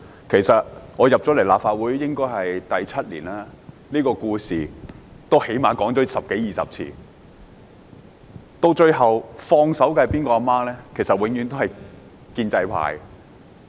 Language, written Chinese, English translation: Cantonese, 其實，我進入立法會第七年，這故事已說了最少十多二十次，到最後放手的母親是哪一位呢？, In fact this is the seventh year since I joined the Legislative Council and this story has been told some 10 to 20 times at least . Who is the mother to let go of the baby?